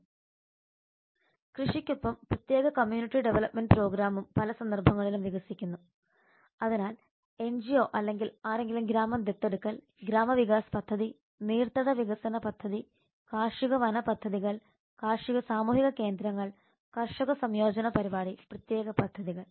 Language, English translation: Malayalam, the special community development program along with agriculture the communities also develop in many cases so the village adoption by NGO or somebody the gram Vikas project the watershed development project farm forestry projects farmers community centers farmer integration program and the special projects